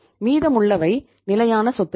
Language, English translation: Tamil, The balance is the fixed assets